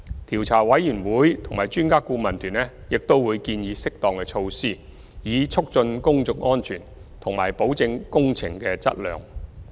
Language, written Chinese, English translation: Cantonese, 調查委員會及專家顧問團並會建議適當措施，以促進公眾安全和保證工程的質量。, COI and EAT will also suggest appropriate measures in order to promote public safety and assurance on the quality of works